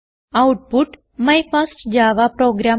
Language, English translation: Malayalam, You will get the output My first java program